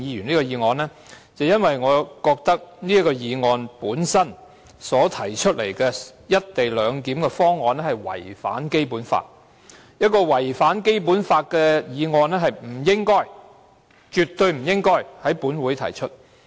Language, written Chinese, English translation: Cantonese, 首先，我認為"一地兩檢"安排議案所提到的方案違反《基本法》，而一項違反《基本法》的議案絕對不應該在本會提出。, First I think the co - location arrangement mentioned in the government motion contravenes the Basic Law and a motion which contravenes the Basic Law must not be moved in this Council